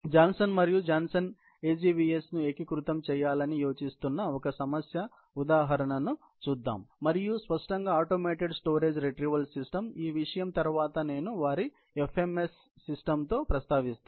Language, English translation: Telugu, Let us look at a problem example, where Johnson and Johnson is planning to integrate the AGVS and obviously also, the automated storage retrieval system, which I will just mention about after this topic with their FMS system